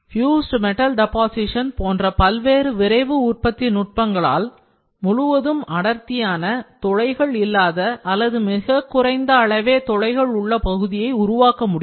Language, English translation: Tamil, Several rapid manufacturing techniques such as fuse metal deposition; they can create the fully dense part that does not have porosity or a very negligible porosity